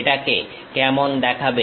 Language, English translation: Bengali, How it looks like